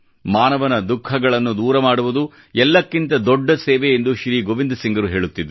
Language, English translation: Kannada, Shri Gobind Singh Ji believed that the biggest service is to alleviate human suffering